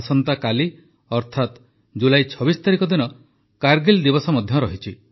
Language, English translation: Odia, Tomorrow, that is the 26th of July is Kargil Vijay Diwas as well